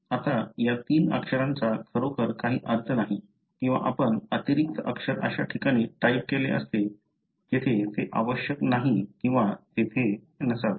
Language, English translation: Marathi, Now, these three letters really doesn’t make any sense or you could have typed an extra letter in a place where it is not required or should not be there